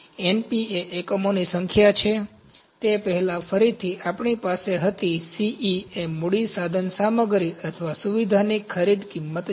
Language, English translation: Gujarati, Np is the number of units, again we had it before Ce is a purchase price of capital equipment or facility